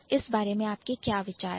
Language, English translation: Hindi, What is your idea about it